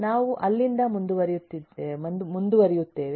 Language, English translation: Kannada, we will continue from there